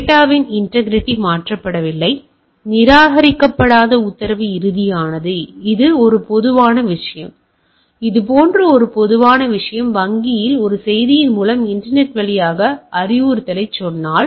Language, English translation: Tamil, Integrity has the data has been not been message has not been altered, non repudiation the order is final this is this is a typical thing like, like if I say instruction over the over the internet over a message to the bank